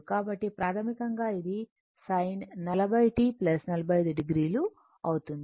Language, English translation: Telugu, So, basically it is sin 40 t plus 45 degree